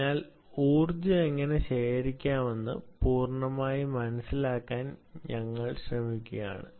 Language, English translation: Malayalam, so we are just trying to understand whole end to end of how to harvest energy from